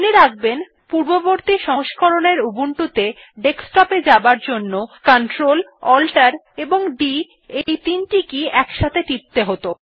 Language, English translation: Bengali, Please note that the required key combination to go to Desktop used to be Clt+Alt+D in the previous versions of Ubuntu